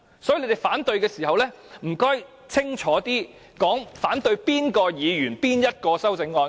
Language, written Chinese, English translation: Cantonese, 所以，你們反對的時候，請清楚指出是反對哪位議員提出的哪項修正案。, Therefore if you oppose the amendments please point out clearly which amendment proposed by which Member you are opposing